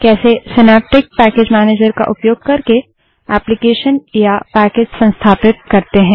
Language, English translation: Hindi, If you are using the synaptic package manager for the first time, you need to reload the packages